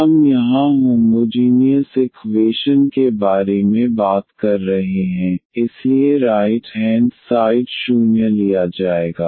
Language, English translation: Hindi, So, indeed this is 0 here, we are talking about the homogeneous equation, so the right hand side will be taken as 0